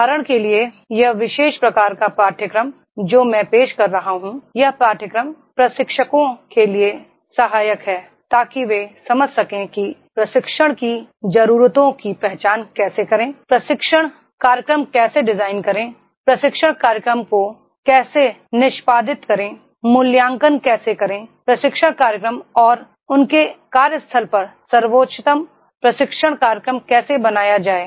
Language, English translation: Hindi, For example, this particular type of course which I am offering, this course is helpful for the trainers so that they will understand how to design identify the training needs, how to design the training program, how to execute the training program, how to evaluate training programs and how to make the best training program at their workplace